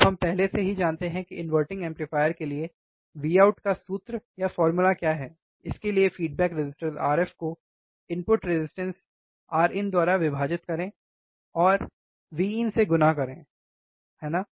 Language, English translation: Hindi, Now we already know what is the value of, what is the formula for V out, for inverting amplifier V out is nothing but minus of feedback resistor R f, divide by input resistance R in into input voltage V in, right